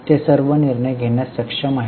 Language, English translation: Marathi, They are able to take all the decisions